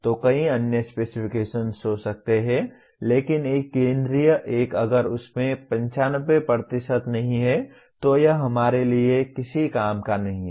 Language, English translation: Hindi, So there may be several other specifications but one central one, if it does not have 95% it is of no use to us